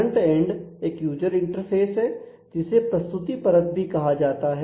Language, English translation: Hindi, So, the frontend is the user interface it is also called the presentation layer